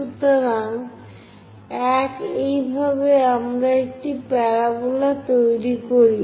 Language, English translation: Bengali, So, 1, this is the way we construct a parabola